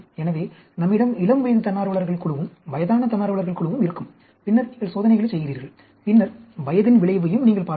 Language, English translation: Tamil, So, we, and have some group of volunteers adult, some group of volunteers who are old and then you perform the experiments and then, later on, you can also look at effect of age also